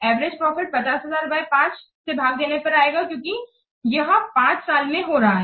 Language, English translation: Hindi, Average profit will coming to be 50,000 divided by 5 because it is occurring in 5 years